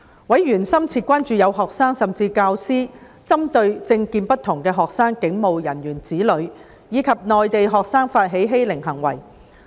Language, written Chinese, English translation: Cantonese, 委員深切關注到，有學生甚至教師針對政見不同的學生、警務人員子女及內地學生發起欺凌行為。, Members were gravely concerned that some students and even teachers had initiated bullying upon students who held different political views students whose parents were police officers and students from the Mainland